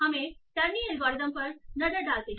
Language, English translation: Hindi, So let's look at the terny algorithm